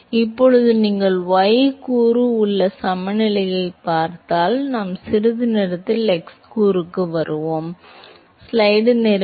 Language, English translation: Tamil, So, now, if you look at the y component momentum balance, we will come to the x component in a short while